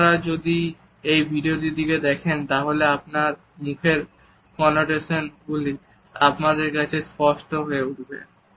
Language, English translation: Bengali, If you look at this video the connotations of his face become clear to us